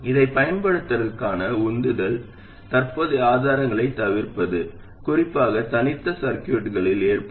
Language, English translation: Tamil, The motivation to use this is simply to avoid current sources, especially in case of discrete circuits